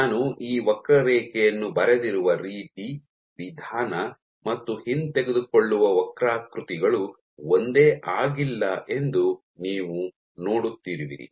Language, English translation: Kannada, So, the way I have drawn this curve you are seeing that the approach and the retract curves are not the same